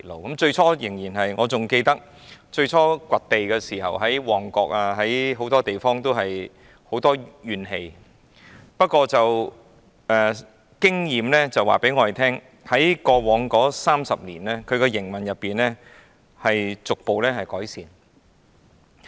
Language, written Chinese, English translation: Cantonese, 還記得港鐵公司最初展開掘地工程時，在旺角等很多地區引起民怨，但經驗告訴我們，港鐵公司在過往30年的營運中，表現逐步改善。, I still remember the excavation works conducted by MTRCL in the beginning sparked strong grievances among people living in Mong Kok and other districts . But experience tells us that MTRCL has gradually improved its operation over the past 30 years